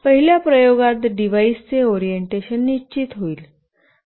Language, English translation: Marathi, In the first experiment will determine the orientation of the device